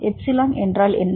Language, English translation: Tamil, What is the epsilon